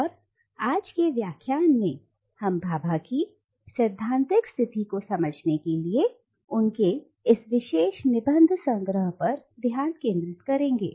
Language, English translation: Hindi, And in today’s lecture we will be exclusively focusing on this particular collection of essays to understand the theoretical position that Bhabha takes